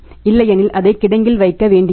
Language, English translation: Tamil, Otherwise it will have to be kept in the warehouse